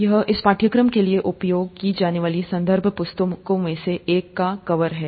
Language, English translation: Hindi, This is, the, cover of one of the reference books that will be used for this course